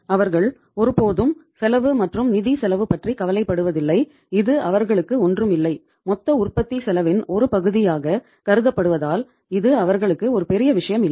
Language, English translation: Tamil, They never bothered about the cost and financial cost was just nothing for them, nothing to be considered uh as the part of the total cost of production